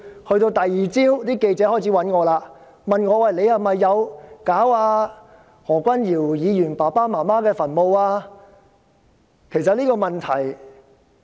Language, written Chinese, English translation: Cantonese, 到了第二天，記者開始聯絡我，問我有否命人破壞何君堯議員父母的墳墓？, On the following day reporters contacted me and asked if I had ordered the desecration of the graves of Dr Junius HOs parents